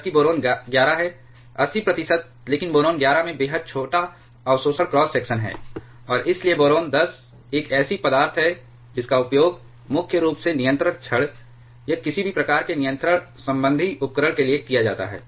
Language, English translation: Hindi, Whereas, boron 11 is 80 percent, but boron 11 has extremely small absorption cross section, and therefore, boron 10 is a material it is primarily used for control rods or any kind of control related machinery